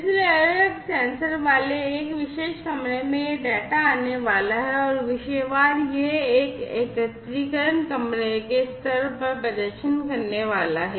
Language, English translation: Hindi, So, you know in a particular room with different sensors this data are going to come and topic wise this aggregation is going to perform in the room level